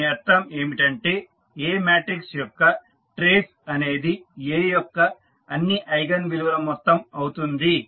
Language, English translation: Telugu, That means the trace of A matrix is the sum of all the eigenvalues of A